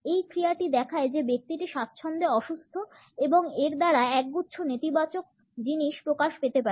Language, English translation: Bengali, This action demonstrates that the person is ill at ease and can communicate a cluster of negative things